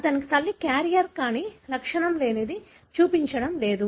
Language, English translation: Telugu, His mother is a carrier, but asymptomatic, not showing